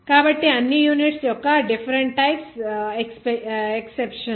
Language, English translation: Telugu, So all are different kinds of exceptions of units